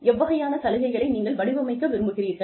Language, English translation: Tamil, What kind of benefits, you want to design